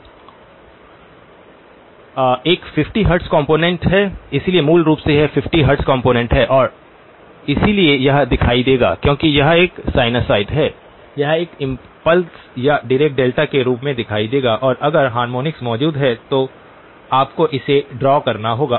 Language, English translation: Hindi, There is a 50 hertz component, so basically this is 50 hertz component and so that will show up, since it is a sinusoid it will show up as an impulse or Dirac Delta and in case harmonics are present you will have to draw that